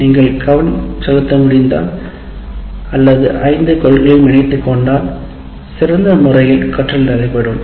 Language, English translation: Tamil, If you are able to pay attention or incorporate all the principles, all the five principles, then learning is best achieved